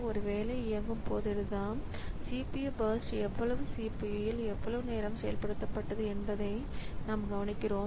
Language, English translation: Tamil, So, whenever a job is executing so we note down how much was the CPU burst how much time it executed in the CPU